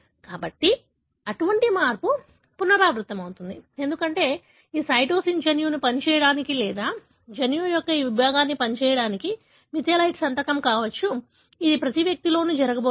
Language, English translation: Telugu, So, such change is going to be recurrent, because this cytosine getting methylated possibly a signature for the gene to function or that segment of the genome to function, it is going to happen in every individual